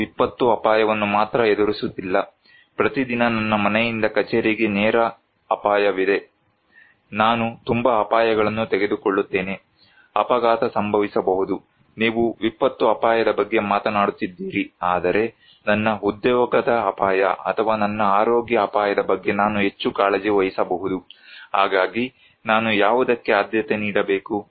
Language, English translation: Kannada, I am not only facing disaster risk, every day is a live risk from my home to office, I take so many risks, accident can happen, you are talking about disaster risk but, I might concern is more about my job risk or my health risk, so which one I should prioritize